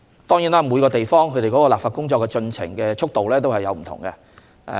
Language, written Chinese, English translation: Cantonese, 當然，每個地方的立法進程的速度都不同。, Certainly the pace of legislative exercise varies from one place to another